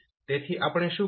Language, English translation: Gujarati, So what we can do now